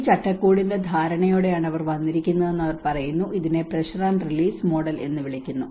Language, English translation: Malayalam, And they talk about they have come with the understanding of this framework is called a pressure and release model